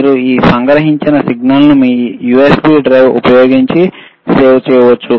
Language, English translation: Telugu, This capturing of signal you can save using your USB drive, you are USB port, right